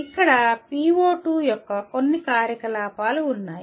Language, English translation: Telugu, Here some activities of PO2